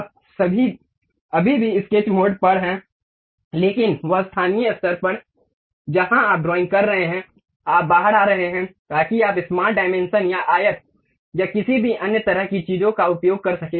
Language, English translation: Hindi, You are still at the sketch mode, but that local level where you are drawing you will be coming out, so that you can use some other two like smart dimension, or rectangle, or any other kind of things